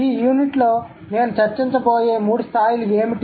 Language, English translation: Telugu, So, what are the three levels that I'm going to discuss in this unit